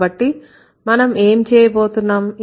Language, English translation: Telugu, So, what are we going to do